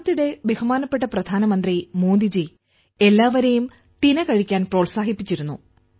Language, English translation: Malayalam, Recently, Honorable Prime Minister Modi ji has encouraged everyone to eat pearl millet